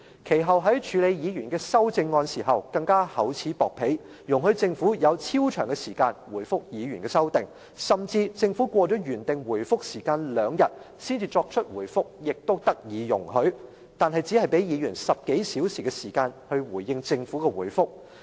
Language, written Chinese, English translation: Cantonese, 其後，在處理議員的修正案時，更厚此薄彼，容許政府有超長時間回覆議員的修訂，甚至政府過了原定回覆時間兩天才作出回覆，也得以容許，但卻只給議員10多小時來回應政府的回覆。, This is inconceivable . After that he practiced favouritism in handling Members amendments by allowing the Government an excessively long period for responding to Members amendments and even when the Government gave its replies two days after the specified date he still granted his approval . Yet he had given Members only a dozen of hours to respond to the replies of the Government